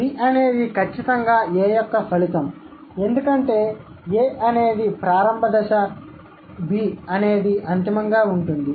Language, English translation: Telugu, So, B is an up shoot or B is the result of A for sure because A is initial, B is final